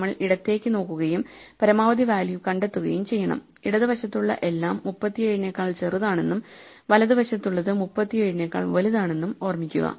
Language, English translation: Malayalam, So, we look to the left and find the maximum value remember that everything to the left is smaller than 37 and everything to the right is bigger than 37